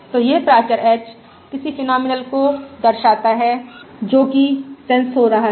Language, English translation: Hindi, so this parameter h represents any phenomenal that is being sensed